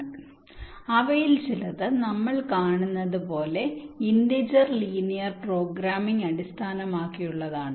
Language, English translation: Malayalam, like we will see that some of them are integer linear programming based